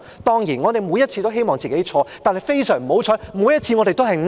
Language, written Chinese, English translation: Cantonese, 當然，我們每次都希望自己的預測錯，但非常不幸，我們每次的預測都是對的。, Certainly we hoped our prediction was wrong but unfortunately our prediction turned out to be correct in each and every case